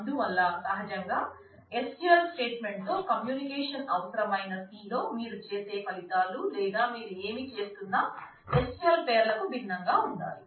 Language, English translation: Telugu, So, naturally the results or whatever you are doing in C which needs to have a communication with the SQL statement need to be differentiated from the SQL names themselves